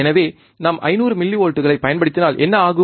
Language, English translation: Tamil, So, what happens if we apply 500 millivolts